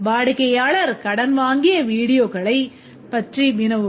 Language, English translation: Tamil, And then the customer can query about the borrowed videos